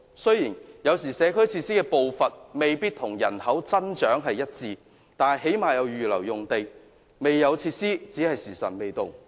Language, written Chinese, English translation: Cantonese, 雖然有時候社區設施的步伐未必與人口增長一致，但最低限度也會預留用地，未獲提供若干設施只是"時辰未到"。, Although there are times when the provision of community facilities failed to go in tandem with population growth land had at least be earmarked and the provision of such facilities is just a matter of time